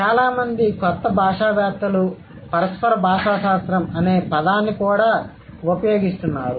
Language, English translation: Telugu, A lot of new linguists are also using a term interactional linguistics